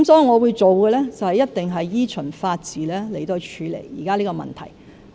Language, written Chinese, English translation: Cantonese, 我會做的事情，必定是依循法治處理現時的問題。, What I will do for certain is to deal with the current problems in accordance with the rule of law